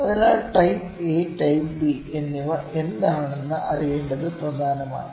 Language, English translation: Malayalam, So, it is important to know what are the type A and type B